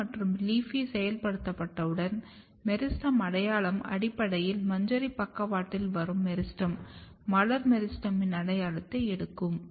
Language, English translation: Tamil, And once AP1 and LEAFY is activated, just now you have seen that then the meristem identity the meristem which is basically coming at the flank of inflorescence will take an identity of floral meristem